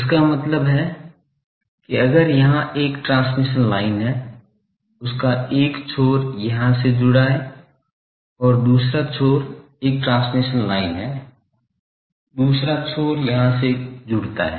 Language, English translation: Hindi, That means if there is a transmission line here, so one end is connected here, the same end now goes and the other one is transmission lines, other end connects here ok